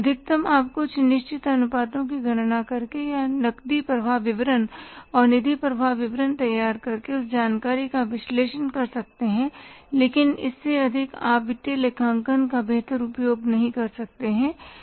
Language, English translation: Hindi, Maximum is you can analyze that information by calculating certain ratios or by preparing the cash flow statement and fund flow statement but more than that you can't make better use of the financial accounting